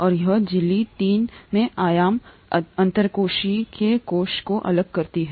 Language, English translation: Hindi, And this membrane in three dimensions, separates the intracellular the extracellular